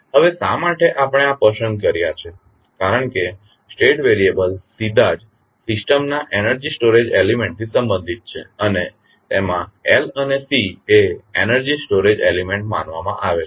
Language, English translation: Gujarati, Now, why we are choosing this because the state variables are directly related to energy storage element of the system and in that L and C are considered to be the energy storage elements